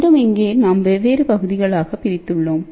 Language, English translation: Tamil, So, again here we have divided into different parts